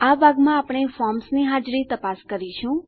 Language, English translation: Gujarati, In this part we will check the existence of these forms